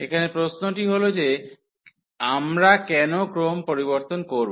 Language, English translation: Bengali, So, the question is here that why do we change the order